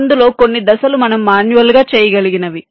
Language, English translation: Telugu, some of the steps we could have done manually